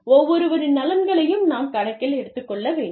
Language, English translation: Tamil, We need to take, everybody's interests, into account